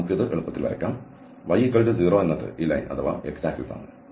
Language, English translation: Malayalam, So, we can draw this easy, y equals 0 and this is the line